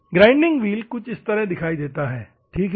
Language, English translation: Hindi, This is how the grinding process looks like, ok